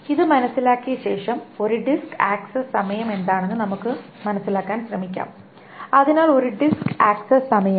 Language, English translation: Malayalam, And having understood this, let us now try to understand what is a disk access time